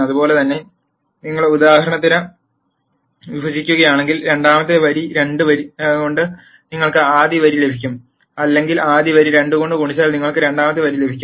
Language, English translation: Malayalam, Similarly if you divide for example, the second row by 2 you will get the first row or if you multiply the first row by 2 you get the second row